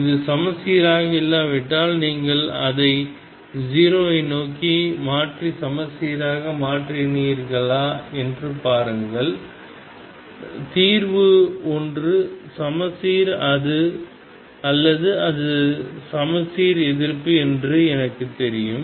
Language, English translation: Tamil, If it is not symmetric see if you shift it towards 0 and make it symmetric then I know that the solution is either symmetric or it is anti symmetric